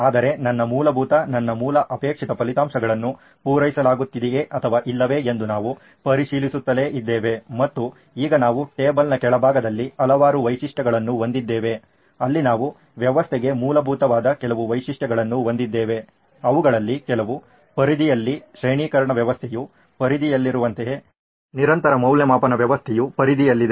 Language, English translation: Kannada, But my basic, we kept checking back whether my basic desired results is being met or not and now we have a tons of features there at the bottom of the table where we have some features that are basic to the system, some which are on the periphery, like the grading system is in the periphery, continuous evaluation system is in the periphery